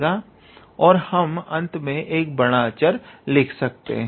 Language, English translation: Hindi, And we can finally, write a big constant at the end